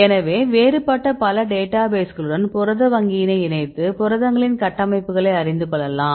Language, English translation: Tamil, So, link to the different other databases for example, protein data bank this will for the protein structures